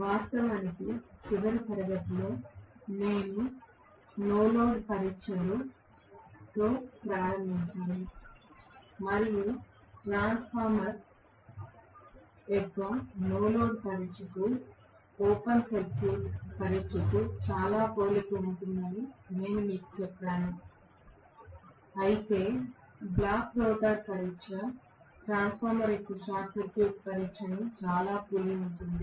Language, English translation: Telugu, In fact, last class I had started on no load test and I told you that no load test is very similar to the open circuit test of a transformer whereas the block rotor test is very similar to the short circuit test of a transformer